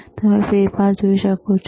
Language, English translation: Gujarati, And you can see the change